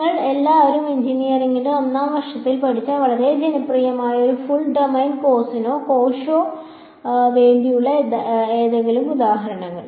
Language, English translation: Malayalam, Any guesses for one very popular full domain cos or cosh you all studied in first year of engineering